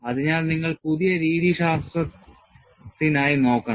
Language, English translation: Malayalam, So, you have to look for newer methodologies